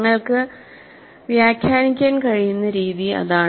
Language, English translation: Malayalam, That is the way you can interpret